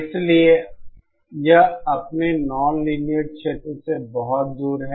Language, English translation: Hindi, So, it is much [fur] further away from its nonlinear region